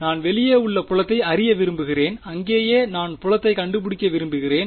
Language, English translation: Tamil, I want to know the field somewhere outside here right that is where I want to find out the field